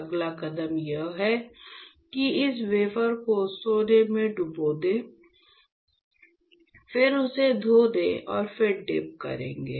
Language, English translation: Hindi, The next step is I will dip this wafer in the gold etchant, then rinse it then I will dip